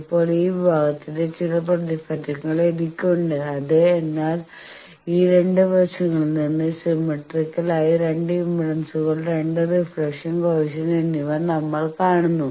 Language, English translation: Malayalam, Now, I have some reflection of this section which is (Refer Time: 17:58), but we see that symmetrically from these two side the two impedance's, the two reflection coefficient